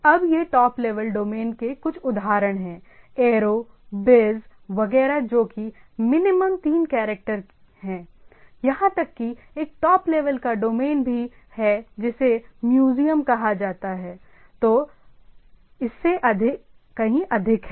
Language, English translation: Hindi, Now, this are some of the examples of top level domains are aero, biz etcetera that is minimum three character, even there is a top level domain called museum which is much more than that